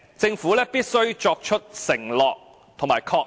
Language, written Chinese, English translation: Cantonese, 政府必須作出承諾和確認。, The Government has to make such a pledge and confirmation